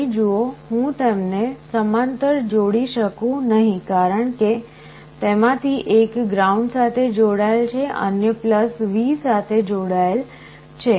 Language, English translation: Gujarati, See here I cannot combine them in parallel because one of them is connected to ground other is connected to +V